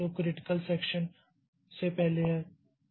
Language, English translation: Hindi, So, that is the critical section